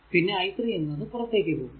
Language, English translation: Malayalam, So, if you see that i is equal to 3